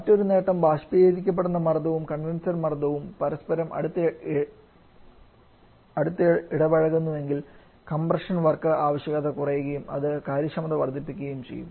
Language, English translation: Malayalam, And another advantages that if the evaporate pressure and condenser pressure is close to each other then the compression what requirement that also keep on coming down leading to an increase in the efficiency